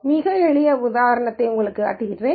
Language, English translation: Tamil, So, let me show you a very simple example